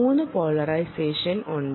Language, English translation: Malayalam, there are three polarization types